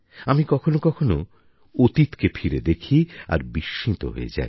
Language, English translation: Bengali, At times, when I look back, I am taken aback